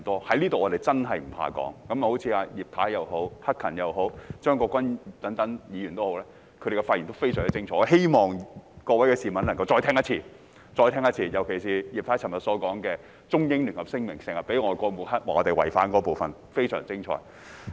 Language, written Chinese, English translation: Cantonese, 在這裏我們真的不怕說，正如葉太、陳克勤議員、張國鈞議員等，他們的發言都非常精彩，我希望各位市民能夠再聽一次，尤其是葉太昨天提到外國經常抹黑，指我們違反《中英聯合聲明》，那個部分她說得非常精彩。, At this juncture we are not afraid to say that Mrs IP Mr CHAN Hak - kan and Mr CHEUNG Kwok - kwan have delivered very good speeches to which I hope members of the public can listen again . In particular Mrs IP said yesterday that foreign countries often smear us and accuse us of violating the Sino - British Joint Declaration . That part of her speech was very well spoken